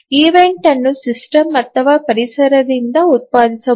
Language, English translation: Kannada, And the event may be either produced by the system or the environment